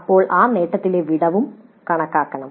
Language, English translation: Malayalam, Then the gap in the attainment should also be computed